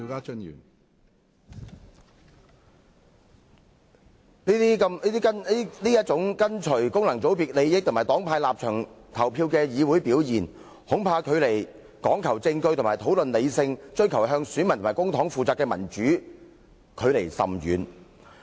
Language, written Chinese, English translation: Cantonese, 這種跟循功能界別利益和黨派立場投票的議會表現，恐怕與講求證據和討論的理性、追求向選民和公帑負責的民主，距離甚遠。, I am afraid that such voting in accordance with the interests of functional constituencies and partisan stances in this Council is a far cry from both rationality which requires evidence and discussion and democracy which entails being accountable to voters and public money